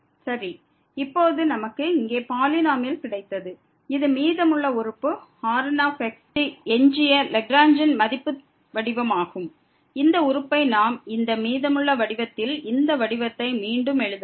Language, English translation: Tamil, Well now, we got the polynomial here which is the remainder term the which is the Lagrange form of the remainder, this term we can also rewrite this remainder form in this form